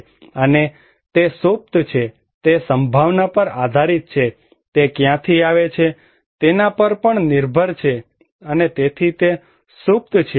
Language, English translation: Gujarati, And it is latent, it depends on probability, it also depends on from where it is coming from, so it is latent